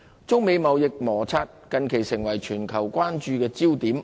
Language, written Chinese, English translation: Cantonese, 中美貿易摩擦近期成為全球關注焦點。, The trade friction between China and the United States has recently become a global focus of concern